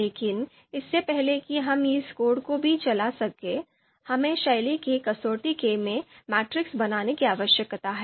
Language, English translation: Hindi, So as you can see before we can even run this code, we need to create this matrix style that is for you know this you know style you know criterion